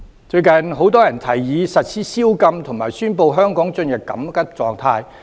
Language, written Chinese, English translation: Cantonese, 最近很多人提議實施宵禁，以及宣布香港進入緊急狀態。, A recent suggestion by many is that the Government should place the city under curfew and declare Hong Kong in a state of emergency